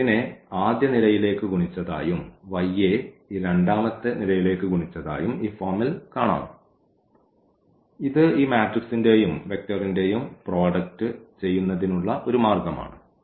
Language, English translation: Malayalam, So, we can also look into in this form that this x is multiplied to this first column, y is multiplied to this second column that is a way we also do the product of this matrix and the vector